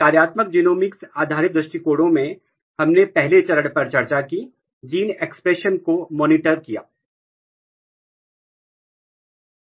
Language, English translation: Hindi, So, in functional genomics based approaches, what we discussed the first step was monitoring gene expression